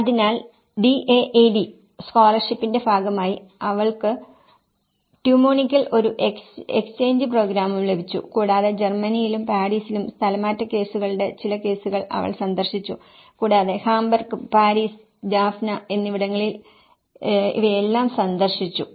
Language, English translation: Malayalam, So, as a part of the DAAD scholarship, she also got an exchange program in Tu Munich and she have visited some of the cases of the displacement cases in the Germany as well and Paris and where she visited all these in Hamburg, Paris, Jaffna